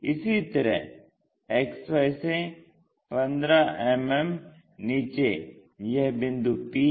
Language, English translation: Hindi, Similarly, 15 mm below this one also, so let us call this point p